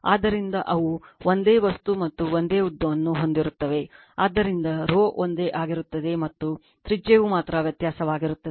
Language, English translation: Kannada, So, they are of the same material and same length right, so rho will remain same and your what you call only radius will be difference